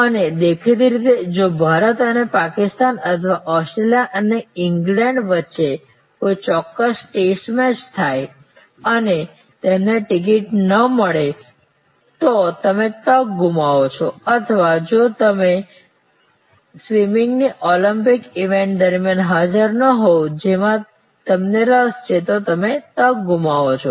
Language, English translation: Gujarati, And obviously, if a particular test match happen between India and Pakistan or Australia and England and you could not get a ticket then you loss the opportunity or if you are not present during the Olympics event of swimming which you are interested in, you loss the opportunity